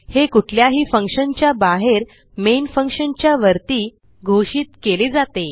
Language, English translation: Marathi, These are declared outside any functions above main() funtion